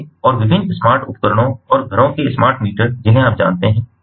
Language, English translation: Hindi, so, and different smart appliances and the homes, smart meters, you know